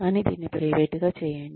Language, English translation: Telugu, But, do it in private